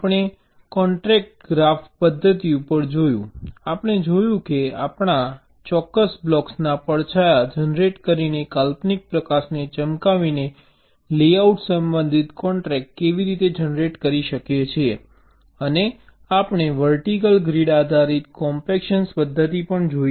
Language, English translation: Gujarati, we saw how we can generate the layout related constraints by shining an imaginary light, by generating shadows of particular blocks, and we looked at the vertical grid based compaction method also